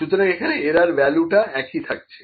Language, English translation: Bengali, So, this is the mean value